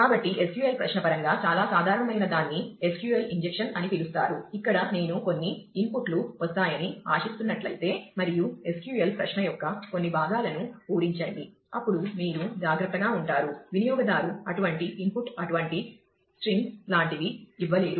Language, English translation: Telugu, So, one that is very common in terms of SQL query is known as a SQL injection where, based on I mean there is if you are expecting some inputs to come ah, and fill up certain parts of the SQL query then, you will have to be careful that, user should not be able to give such input say such strings